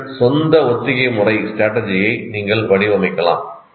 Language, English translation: Tamil, You can design your own rehearsal strategy